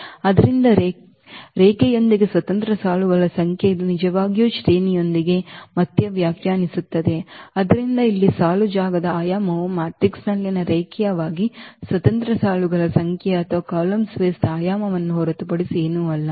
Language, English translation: Kannada, So, the number of linearly independent rows which is actually the definition of again with the rank; so here, the dimension of the row space is nothing but the number of linearly independent rows in the matrix or the dimension of the column space